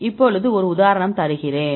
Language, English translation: Tamil, Now I give you the one examples